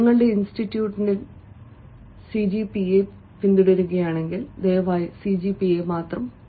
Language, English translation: Malayalam, if your institute follow cgpa, please do mention cgpa